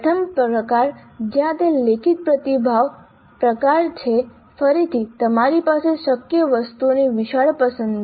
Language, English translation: Gujarati, The first type where it is a written response type, again you have wide choice of items possible